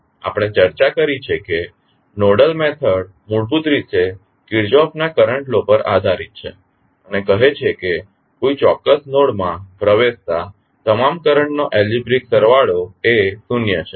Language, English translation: Gujarati, We discussed that the nodal method that is basically based on Kirchhoff’s current law and says that the algebraic sum of all currents entering a particular node is zero